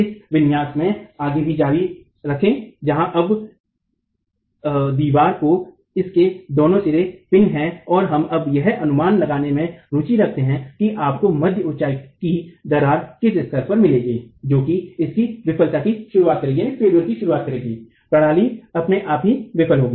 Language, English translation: Hindi, Further continue in this configuration where now the wall is pinned at both its ends and we are now interested to estimate at what level would you get the mid height crack which is what will initiate its failure the system failure itself